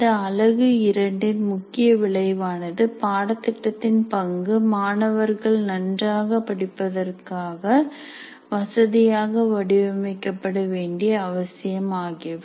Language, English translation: Tamil, The main outcome of this unit two is understand the role of course design in facilitating good learning of the students